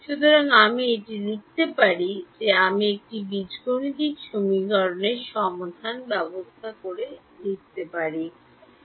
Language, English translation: Bengali, So, I can write this, I can write this as a system of algebraic equations ok